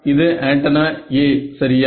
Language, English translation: Tamil, So, this is antenna A ok